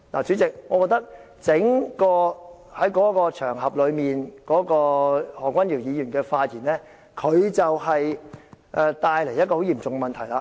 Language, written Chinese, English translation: Cantonese, 主席，我認為在該場合，何君堯議員的整個發言會帶來很嚴重的問題。, President I think the overall remarks made by Dr Junius HO at the rally will cause a very serious problem